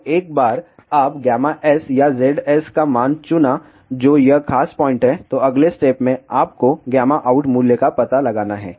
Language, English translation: Hindi, So, once you have chosen the value of gamma S or Z S ,which is this particular point, then the next step is you find out the value of gamma out